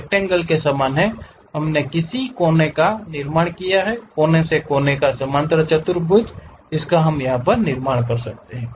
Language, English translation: Hindi, You similar to rectangle how corner to corner we have constructed, corner to corner parallelogram also we can construct it